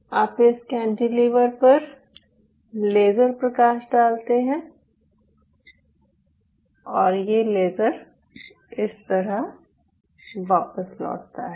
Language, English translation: Hindi, ok, you shine a laser on this cantilever and what will happen to this laser